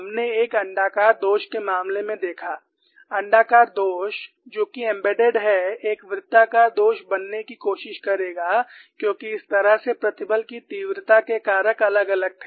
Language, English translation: Hindi, We saw in the case of an elliptical flaw, the elliptical flaw which is embedded would try to become a circular flaw, because that is how the stress intensity factors were very